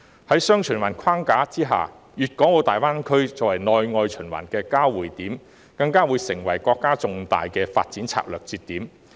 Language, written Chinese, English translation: Cantonese, 在"雙循環"的框架下，粤港澳大灣區作為內外循環的交匯點，更會成為國家的重大發展策略節點。, Under the framework of dual circulation the Guangdong - Hong Kong - Macao Greater Bay Area GBA which serves as a converging point for domestic and external circulation will become a key strategic link for national development